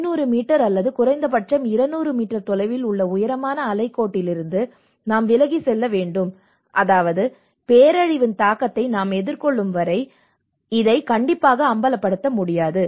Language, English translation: Tamil, We have to move away from the high tide line 500 meters or 200 meters away so which means there is no strict enforcement of this until we face that impact of the disaster